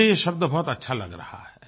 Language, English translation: Hindi, I like this term